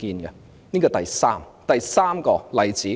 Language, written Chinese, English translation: Cantonese, 這是第三個例子。, This is the third example